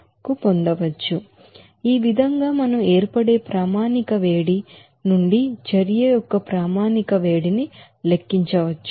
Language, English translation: Telugu, So in this way we can calculate the standard heat of reaction from the standard heat of formation